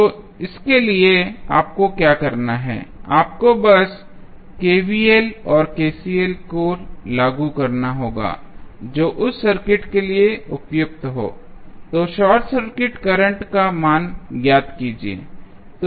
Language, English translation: Hindi, So, for this what you have to do, you have to just apply either KVL or KCL whatever is appropriate for that circuit, then find the value of short circuit current